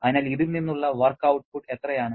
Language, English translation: Malayalam, So, how much is the work output from this